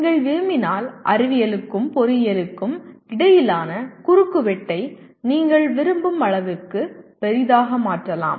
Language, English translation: Tamil, If you want you can make that intersection between science and engineering as large as you want